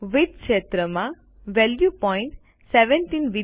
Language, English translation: Gujarati, In the Width field, enter the value point .70